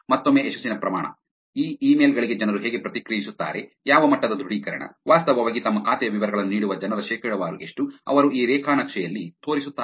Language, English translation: Kannada, Again success rate, how people react to these emails what level of authentication, what is the percentage of people who are actually giving their account details, is what they show in this graph